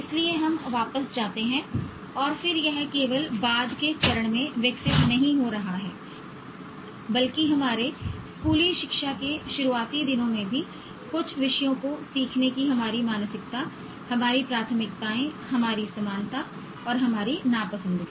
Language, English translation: Hindi, So we go back and then it's not just getting developed at a later stage but even at a very early days of our schooling, our mindset towards learning some subjects, our preferences, our likeness and our dislikeness